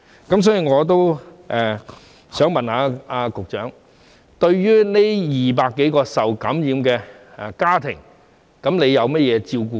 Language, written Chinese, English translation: Cantonese, 因此，我想問局長，對於這200多宗個案涉及的家庭，僱主獲提供甚麼照顧呢？, For this reason may I ask the Secretary what care services have been provided to the employers in the families involved in these 200 - odd cases?